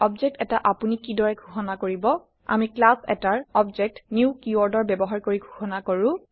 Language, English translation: Assamese, How do you declare an object We declare an object of a class using the new keyword